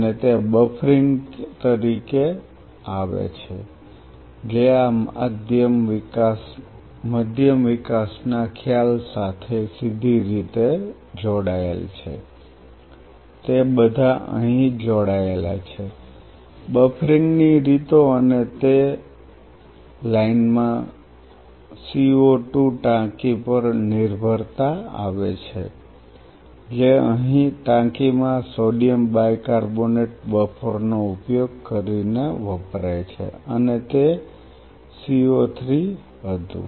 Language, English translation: Gujarati, And that comes as nodes of buffering which is directly linked to this medium development concept they are all linked here, modes of buffering and in that line come dependence to CO 2 tank which here to tank is used using sodium bicarbonate buffering and it was CO 3